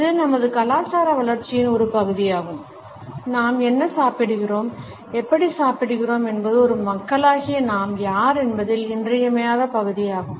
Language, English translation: Tamil, It is a part of our cultural growing up, what we eat and how we eat is an essential part of who we are as a people